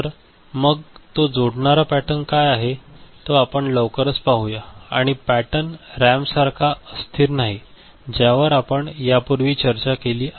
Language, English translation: Marathi, So, what is that interconnection pattern that we shall see shortly and this pattern is non volatile unlike RAM, the kind of things that we had discussed before